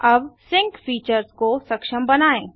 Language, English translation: Hindi, You can set your sync option here